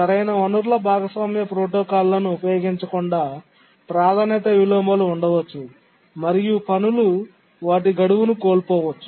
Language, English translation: Telugu, Support for resource sharing protocols, because without use of proper resource sharing protocols, there can be priority inversions and tasks may miss their deadline